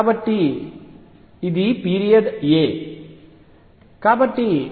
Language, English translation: Telugu, So, this is the period a